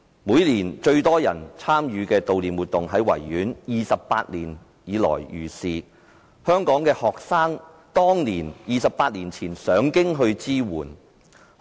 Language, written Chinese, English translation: Cantonese, 每年有最多人參與的悼念活動在維園舉行 ，28 年如是，而香港學生早在28年前已上京支援。, Every year the activity that has the highest attendance is the one held at the Victoria Park to commemorate the 4 June incident and it has been held for 28 years . Hong Kong students had gone to Beijing for support as early as 28 years ago